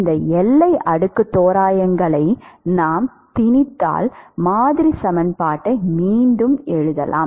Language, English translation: Tamil, If we impose these boundary layer approximations, we can rewrite the model equation yes